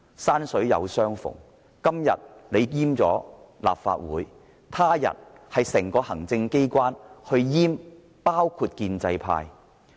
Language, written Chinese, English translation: Cantonese, 山水有相逢，建制派今天閹割立法會，他日是整個行政機關閹割包括建制派在內的立法會。, Fate works in surprising ways . The pro - establishment camp castrates the Legislative Council today; but the entire Legislative Council the pro - establishment camp included may be castrated in future by the executive authorities